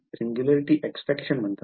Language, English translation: Marathi, That is the singularity